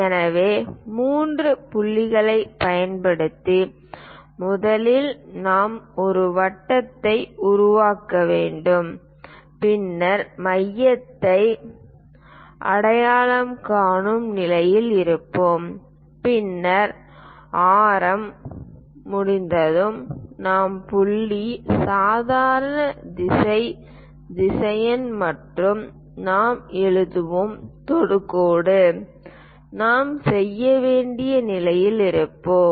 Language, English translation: Tamil, So, using three points first of all we have to construct a circle then we will be in a position to identify the centre and then radius, once radius is done we will pick the point, normal direction vector we will write and also tangent direction we will be in a position to do